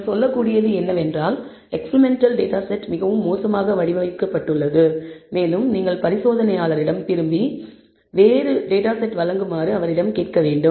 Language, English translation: Tamil, All you can say is that the experimental data set is very poorly designed, and you need to get back to the experimenter and ask him to provide a different data set